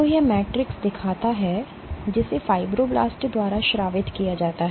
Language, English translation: Hindi, So, this shows the Matrix, which is secreted by fibroblasts